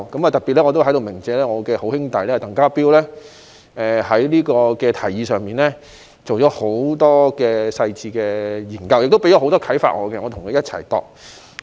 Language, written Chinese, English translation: Cantonese, 我在這裏特別鳴謝我的好兄弟鄧家彪，他在這項提議上進行了很多細緻的研究，令我得到很多啟發，由我和他一起擬訂。, I would like to give special thanks to my good brother TANG Ka - piu who has done a lot of detailed research on this proposal inspiring me to formulate the proposal together with him